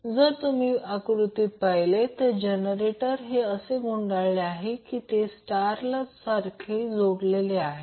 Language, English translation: Marathi, So, if you see this particular figure the generator is wound in such a way that it is star connected